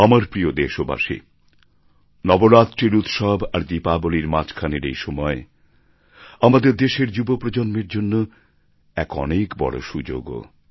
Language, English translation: Bengali, My dear countrymen, there is a big opportunity for our younger generation between Navratra festivities and Diwali